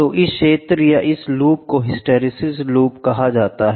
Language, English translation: Hindi, So, this area, this loop is called as hysteresis loop